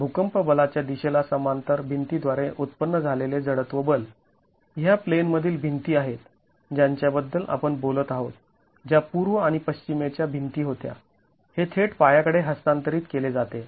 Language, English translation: Marathi, The inertial force generated by the walls parallel to the direction of the earthquake force, these are the in plain walls that we are talking about which were the east and the west walls